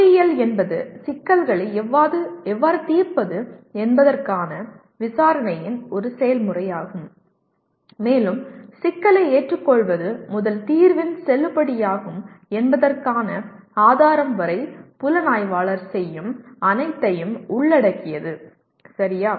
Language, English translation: Tamil, Whereas engineering is a process of investigation of how to solve problems and includes everything the investigator does from the acceptance of the problem to the proof of the validity of the solution, okay